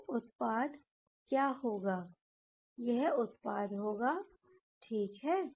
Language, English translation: Hindi, So, what will be the product, here the product will be ok